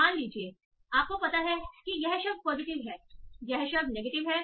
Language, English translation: Hindi, Suppose you find out, okay, this word is positive, this is negative